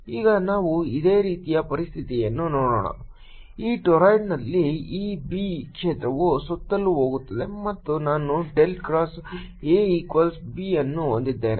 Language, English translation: Kannada, now let us look at the similar situation for this torrid, in which there is this b field going around and i have del cross